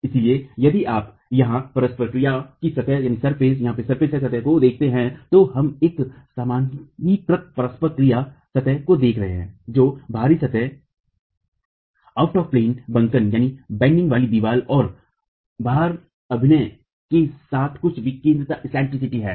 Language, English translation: Hindi, So, if you look at the interaction surface here, we are looking at a normalized interaction surface for a wall bending out of plane